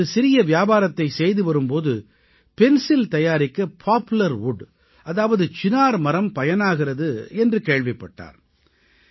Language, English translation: Tamil, He was engaged in his small business when he came to know that Poplar wood , Chinar wood is being used in manufacturing pencils